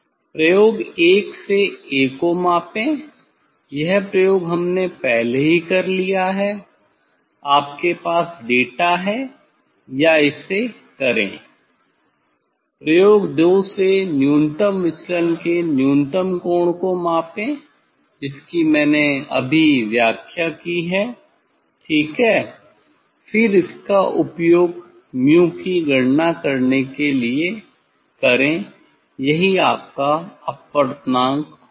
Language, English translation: Hindi, measure a following the experiment 1 already we have done the experiment, you have data or do it, measure the minimum angle of minimum deviation following the experiment 2 just I described ok, then use this to calculate mu, that will be your refractive index